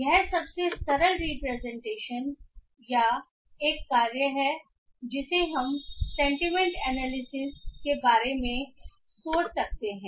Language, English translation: Hindi, This is the most simplistic representation or a task that we can think of sentiment analysis